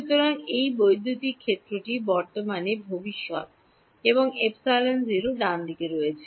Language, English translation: Bengali, So, its electric field is at the future at the present and epsilon is at the 0 right